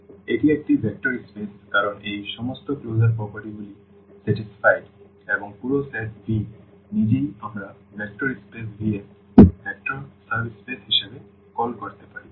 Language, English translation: Bengali, So, this is a vector space because all these closure properties are satisfied and the whole set V itself we can call as a vector subspace of the vector space V